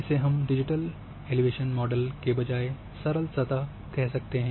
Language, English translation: Hindi, We may not called as a digital elevation model we may call it as simple surface